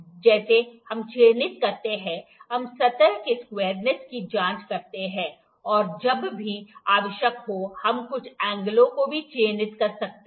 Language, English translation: Hindi, Like while we mark this square, we check the squareness of the surface, and also we can mark some angles whenever required